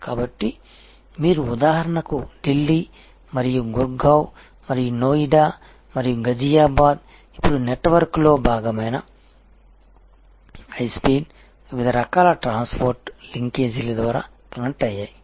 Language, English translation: Telugu, So, this you can say for example Delhi and Gurgaon and Noida and Ghaziabad are now actually all part of network themselves connected through high speed different types of transport linkages